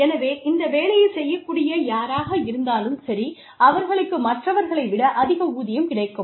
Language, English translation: Tamil, So, anyone, who is able to do this, will get a higher pay, than the others